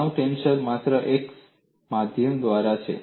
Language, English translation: Gujarati, Stress tensor is only a via media